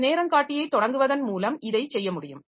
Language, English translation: Tamil, So, this is by means of starting a timer